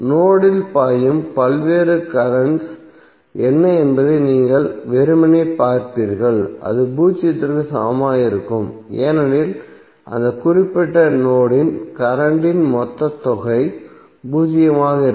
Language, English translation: Tamil, You will simply see what are the various currents flowing into the node and it equate it equal to zero because total sum of current at that particular node would be zero